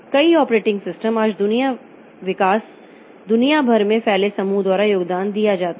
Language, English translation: Hindi, Many of the operating systems today the development is contributed by groups spread over all over the world